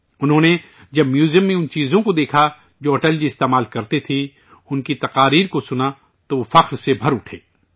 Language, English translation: Urdu, In the museum, when he saw the items that Atalji used, listened to his speeches, he was filled with pride